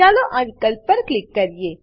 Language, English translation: Gujarati, Lets click on this option